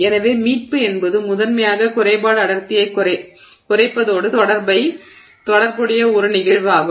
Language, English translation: Tamil, So, recovery is a phenomenon that is there in materials which is primarily associated with reduction in defect density